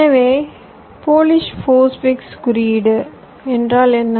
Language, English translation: Tamil, so what is polish post fix notations